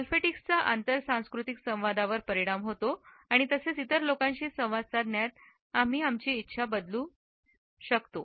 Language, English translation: Marathi, Olfactics can also impact intercultural communication as well as can impair our willingness to be engaged in a dialogue with other people